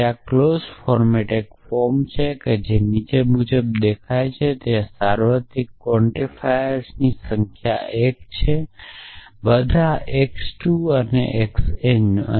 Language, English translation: Gujarati, And a clause form is a form which looks like follow as follows at there is some number of universal quantifiers x 1 all x 2 all x n